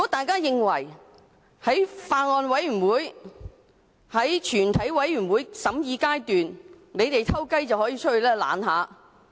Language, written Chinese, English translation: Cantonese, 他們或會認為在全體委員會審議階段，可以偷偷到會議廳外躲懶。, Perhaps they think that during the Committee stage they may sneak out of the Chamber and slack off outside